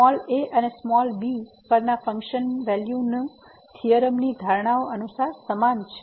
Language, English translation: Gujarati, The function value at and are equal as per the assumptions of the theorem